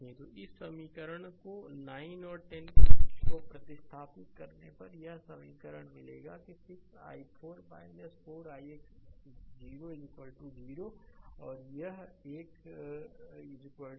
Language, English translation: Hindi, So, substituting this equation 9 and 10 you will get this equation that 6 i 4 minus 4 i x dash is equal to 0 right and this one is equal to minus 20